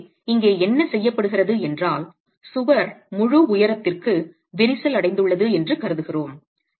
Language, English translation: Tamil, So what is done here is we assume that the wall is cracked for the full height